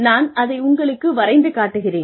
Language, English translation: Tamil, So, I will just draw this out for you